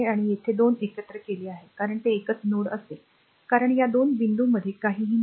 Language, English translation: Marathi, So, these 2 are combined, because it will be a single node because nothing is there in between these 2 points